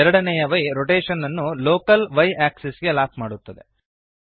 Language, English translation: Kannada, The second y locks the rotation to the local y axis